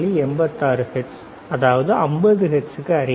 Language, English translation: Tamil, 86 close to 50 hertz, right